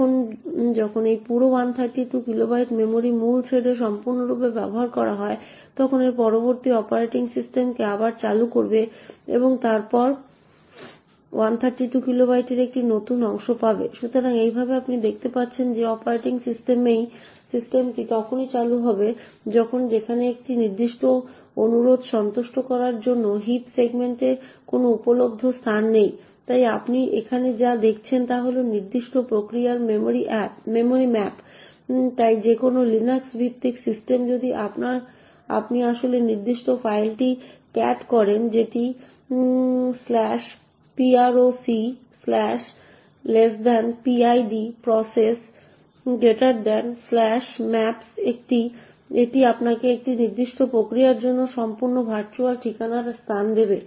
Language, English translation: Bengali, Now when this entire 132 kilobytes of memory is completely utilised by the main thread a subsequent malloc would then invoke the operating system again and then get a new chunk of 132 kilobytes, so in this way you see that the operating system gets invoked only when there is no available space in the heap segment to satisfy a particular request, so what you see over here is the memory map of the particular process, so any Linux based system if you actually cat this particular file that is /proc/<PID of that process>/maps it will give you the entire virtual address space for that particular process